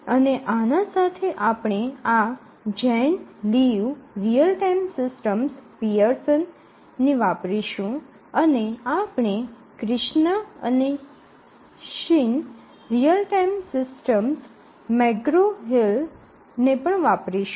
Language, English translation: Gujarati, And we will supplement this with Jane Liu Real Time systems, again Pearson and then we will also refer to Krishna and Shin Real Time systems McGraw Hill